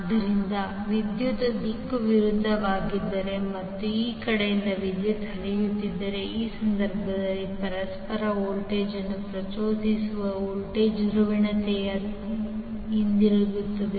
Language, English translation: Kannada, So suppose if the direction of the current is opposite and current is flowing from this side in that case the polarity of the voltage that is induced mutual voltage would be like this